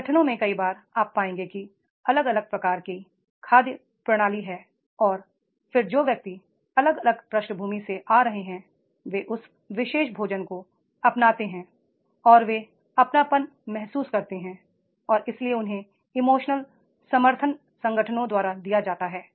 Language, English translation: Hindi, So many times in the organizations you will find that is they are having the different types of the food systems and then the persons, those who are coming from the different background, they adopt that particular food and they feel homely and therefore that emotional support is given by the organizations are there